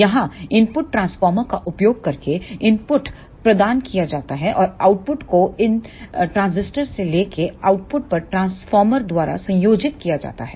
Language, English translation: Hindi, Here the input is provided by using the input transformer and the output is taken and combined from these transistors by the transformer at the output